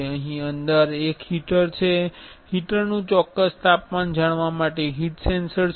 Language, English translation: Gujarati, There is a heater here inside, there is a heat sensor to know the exact temperature of the heater